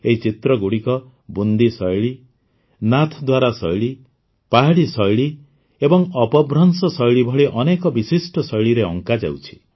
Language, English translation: Odia, These paintings will be made in many distinctive styles such as the Bundi style, Nathdwara style, Pahari style and Apabhramsh style